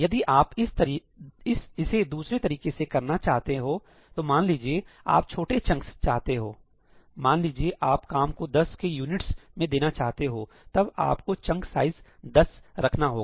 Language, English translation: Hindi, Now, if you want it to be done differently – let us say, you want smaller chunks, you want to give work in units of, let us say, 10 – then, you can specify chunk size as 10